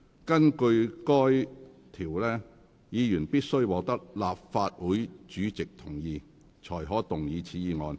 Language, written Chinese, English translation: Cantonese, 根據該條，議員必須獲得立法會主席同意後，才可動議此議案。, According to the provision a Member can only move this motion with the consent of the President of the Legislative Council